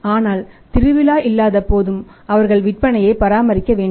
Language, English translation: Tamil, But when festival season is not there still they have to maintain the sales